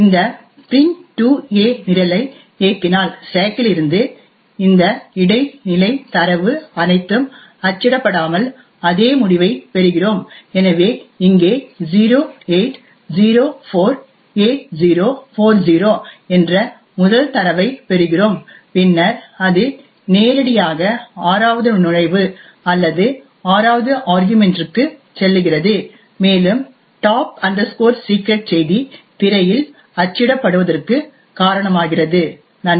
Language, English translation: Tamil, If we execute this program print2a we get exactly the same result without all of this intermediate data from the stack getting printed, so note that over here we just get the first data that is 0804a040 and then it jumps directly to the sixth entry or the sixth argument and causes this is a top secret message to be printed on the screen, thank you